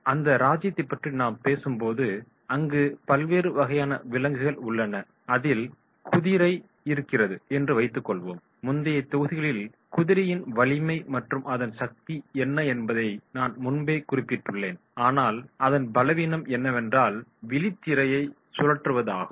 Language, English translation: Tamil, In the kingdom we talk about that is what there are different types of animals, suppose there is a horse so as I mentioned earlier also in earlier modules that horse’s strength is his power but its weakness is rotating retina